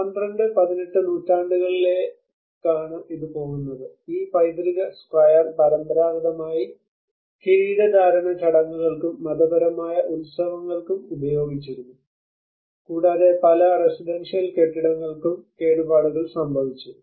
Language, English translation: Malayalam, It goes back to the 12th and 18th centuries where this particular square was traditionally used for the coronation ceremonies and the religious festivals and many of the residential buildings got damaged